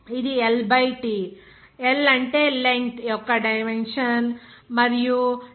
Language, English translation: Telugu, It will be that L by T what is that L is the dimension of length and dimension of time is T